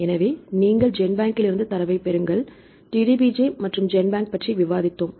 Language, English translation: Tamil, So, now, get the data from the GenBank right we discussed about the DDBJ, I am discussed about the GenBank